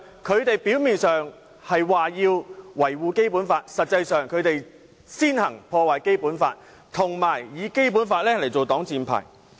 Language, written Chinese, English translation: Cantonese, 他們表面上說道要維護《基本法》，但實際上，他們卻先行破壞《基本法》，並且以《基本法》作擋箭牌。, Apparently they claim that it is necessary to uphold the Basic Law . But in reality they are the very first to undermine the Basic Law and use the Basic Law as the shield